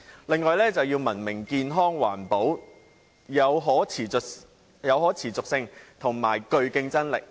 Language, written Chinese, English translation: Cantonese, 另外，便是要文明、健康、環保、具可持續性和競爭力。, In addition it is hoped that a civilized healthy environmentally - friendly sustainable and competitive society can be created